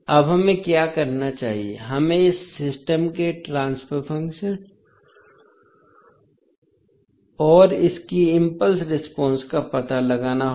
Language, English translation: Hindi, Now, what we have to do, we have to find the transfer function of this system and its impulse response